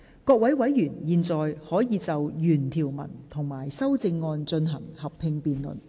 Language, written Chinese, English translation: Cantonese, 各位委員現在可以就原條文及修正案進行合併辯論。, Members may now proceed to a joint debate on the original clause and the amendment